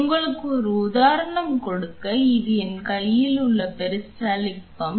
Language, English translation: Tamil, Just to give you an example this is one such peristaltic pump in my hand